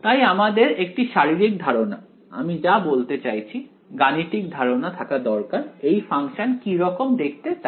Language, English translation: Bengali, So, we should have a physical I mean a mathematical intuition of what this function looks like right